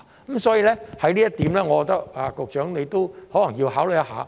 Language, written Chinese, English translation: Cantonese, 因此，就這一點，我認為局長可能要考慮一下。, Therefore regarding this point I think the Secretary may need to give some consideration